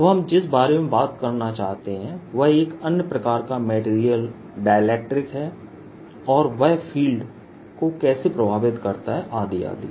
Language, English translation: Hindi, what we want to talk about now is another kind of material and how they affect the fields, etcetera is dielectrics in particular